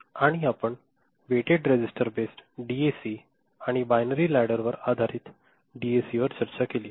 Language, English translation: Marathi, And, we discussed weighted register based DAC and binary ladder based DAC